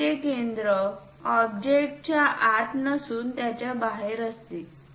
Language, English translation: Marathi, The center of the arc is not somewhere inside the object somewhere outside